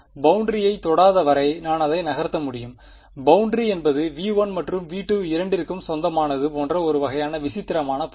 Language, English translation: Tamil, I can move it as long as it is not even touching the boundary is ok; The boundary is a sort of peculiar object like the boundary belongs to both V 1 and V 2